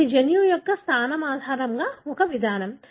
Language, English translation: Telugu, So this is an approach based on the position of the gene